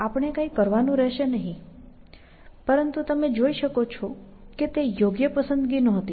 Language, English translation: Gujarati, So, we do not have to do anything, but as you can see that was a right choice, essentially